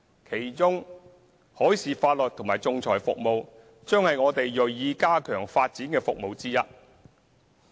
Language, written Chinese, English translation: Cantonese, 其中，海事法律和仲裁服務將是我們銳意加強發展的服務。, We will be committed to enhancing the development of maritime law and arbitration services